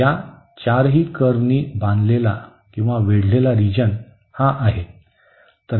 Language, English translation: Marathi, So, the region bounded by all these 4 curves is this one